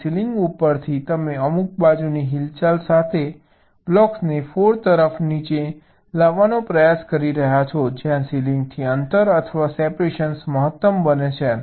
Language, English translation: Gujarati, so from the ceiling, you are trying to bring the blocks down towards the floor with some lateral movement where the distance or separation from the ceiling becomes maximum